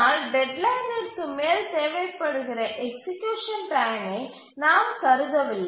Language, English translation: Tamil, But then we don't consider how much execution time is required over the deadline